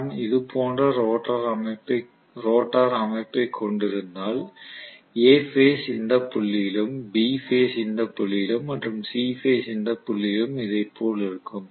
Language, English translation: Tamil, So if I have basically the rotor structure somewhat like this I am going to have may be A phase at some point, maybe B phase at another point and C phase at the third point something like this